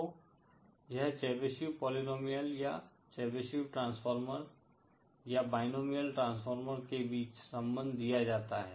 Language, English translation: Hindi, So that is a paid off between Chebyshev polynomial or the Chebyshev transformer or the binomial transformer